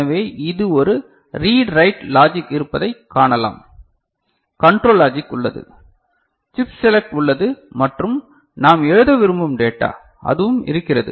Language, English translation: Tamil, So, we can see that this there is a read write logic, control logic is there, chip select is there and data that we want to write ok, that is also there fine